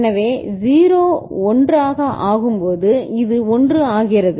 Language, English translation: Tamil, So, 0 to 1 when it becomes so this becomes 1